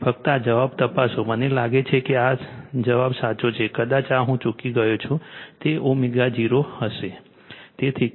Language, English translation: Gujarati, Just check this answer I think this answer is correct, perhaps this I missed this one, it will be omega 0 right